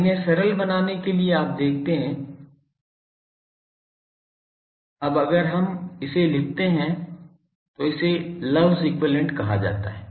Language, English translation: Hindi, Now to simplify these you see that, if we now put so for let me write this is called Love’s equivalent